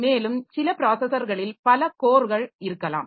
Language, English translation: Tamil, And some processors may have a number of course